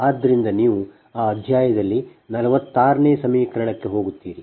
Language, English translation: Kannada, so in that topic you go to are in that chapter you go to equation forty six